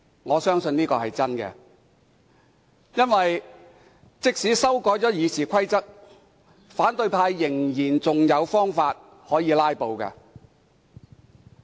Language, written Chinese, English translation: Cantonese, 我相信這是真話，因為即使修改《議事規則》，反對派仍有方法可以"拉布"。, I believe this is true because even if RoP is amended the opposition camp can still filibuster